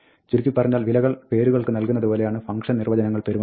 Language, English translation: Malayalam, To summarize, function definitions behave just like other assignments of values to names